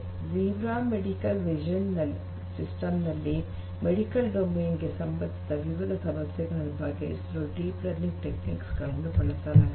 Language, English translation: Kannada, Zebra medical vision system, they are using deep learning techniques for de different problems in the medical domain